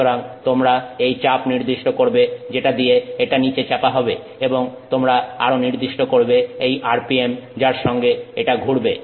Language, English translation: Bengali, So, you specify this pressure with which it is pressed down and you also specify the RPM with which it is rotating